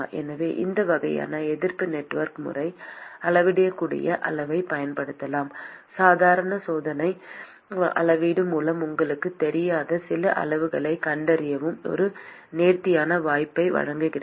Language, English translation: Tamil, So, that is what these kind of resistance network method provides you an elegant opportunity to use the measurable quantity and find some of the quantities that is not known to you via normal experimental measurement